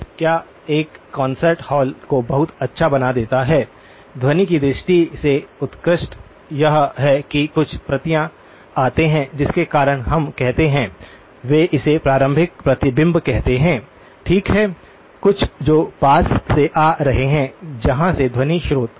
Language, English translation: Hindi, What makes a concert hall very good, acoustically excellent is that there are certain copies that come because of what we call, they call as early reflections okay some which has coming from nearby, from where the sound source